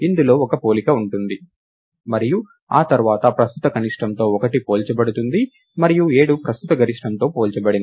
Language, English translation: Telugu, This is this involves one comparison, and after that 1 is compared with current minimum and 7 is compared with the current maximum